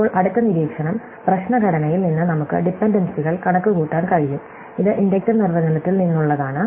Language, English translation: Malayalam, Now, the next observation is that we can compute the dependencies from the problem structure; this is from the inductive definition